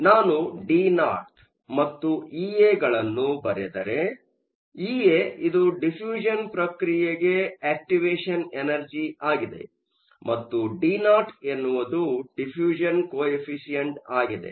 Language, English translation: Kannada, So, if I write D naught and E a, E a is the activation energy for diffusion and D naught is a diffusion constant